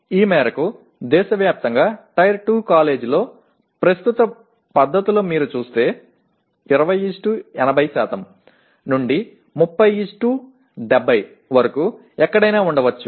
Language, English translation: Telugu, To this extent the present practices in tier 2 college across the country if you see, there could be anywhere from 20:80 to 30:70